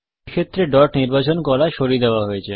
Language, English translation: Bengali, In this case, dot selection has been removed